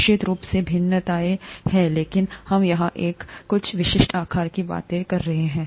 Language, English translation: Hindi, There are variations of course, but we are talking of some typical sizes here